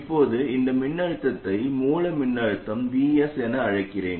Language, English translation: Tamil, And let me call this voltage as the source voltage VS